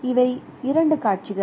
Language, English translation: Tamil, So, these are the two scenarios